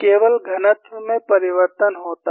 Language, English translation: Hindi, And by and large, it is only density change